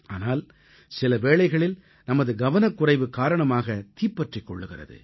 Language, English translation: Tamil, But, sometimes fire is caused due to carelessness